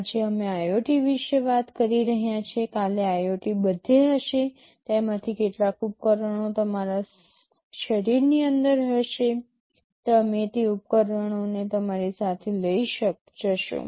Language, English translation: Gujarati, Today we are talking about IoTs, tomorrow IoT will be everywhere, maybe some of those devices will be inside your body, you will be carrying those devices along with you